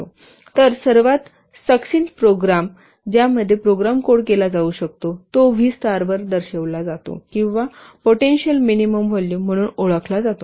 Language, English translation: Marathi, So, the volume of the most succinct program in which a program can be coded is repented as V star or which is known as potential minimum volume